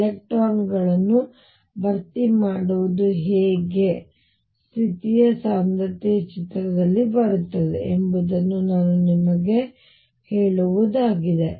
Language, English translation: Kannada, This is just to tell you how the filling of electrons how density of states comes into the picture